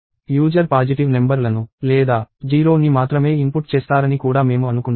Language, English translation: Telugu, So, we also assume that, the user inputs only positive numbers or 0